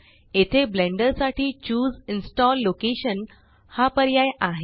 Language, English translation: Marathi, So here you have the option to Choose Install location for Blender